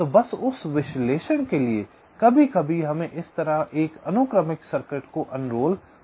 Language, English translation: Hindi, so just for that analysis, sometimes we may have to unroll a sequential circuit like this